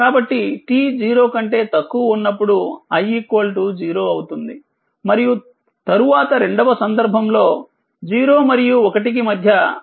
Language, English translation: Telugu, So, it is 0 for t less than 0 and then in second case between 0 and 1 v t is equal to 4 t